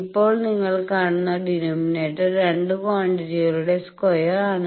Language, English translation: Malayalam, Now, denominator you see is sum of two square quantities